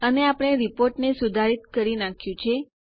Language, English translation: Gujarati, And we are done with modifying our report